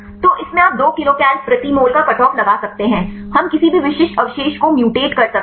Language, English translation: Hindi, So, in this can you put a cut off of 2 kilocal per mole, we mutate any specific residue